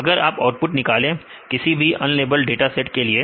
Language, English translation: Hindi, So, if you drawn a output, we can for in unlabeled dataset you can use that right